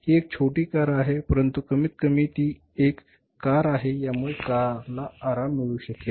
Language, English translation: Marathi, It is a small car but it is a car and it can give the comforts of the car